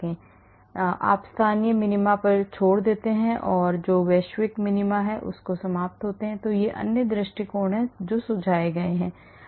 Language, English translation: Hindi, I mean you skip the local minima and end up with the global minima there are many other approaches which are suggested